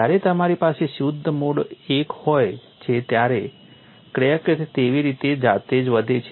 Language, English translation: Gujarati, When you have pure mode one the crack grows in a self similar manner